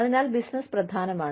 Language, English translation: Malayalam, So, business is important